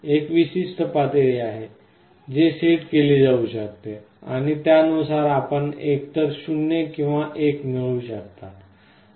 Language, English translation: Marathi, There is a threshold level, which can be set and depending on that you can get either a 0 or 1